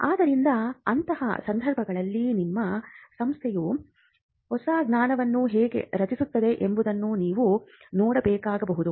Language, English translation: Kannada, So, in such cases you may have to look at how your institution can protect new knowledge